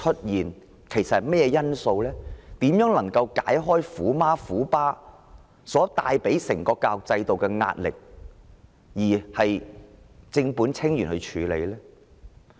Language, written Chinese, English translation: Cantonese, 如何能夠解開他們帶給教育制度的壓力，以正本清源的方式處理？, How can we get to the bottom of this problem and take away the pressure that tiger parents put on our education system?